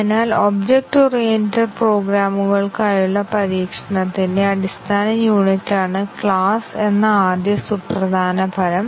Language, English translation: Malayalam, So, that is the first important result that class is the basic unit of testing for objects oriented programs